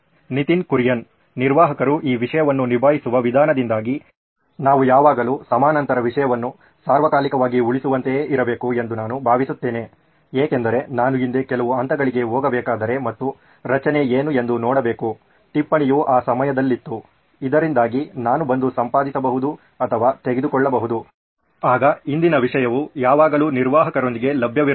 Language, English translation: Kannada, I think we should also, because of the way the admin would be handling this content, we should always have like parallel content being saved all the time because if I have to go to some point in the past and see what the structure of the note was at that point of time, so that I can come and edit or remove whatever it was, then the past content should always be available with the admin to ensure that the content is